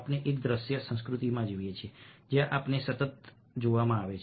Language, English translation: Gujarati, we live in a visual culture where we have perpetual being watched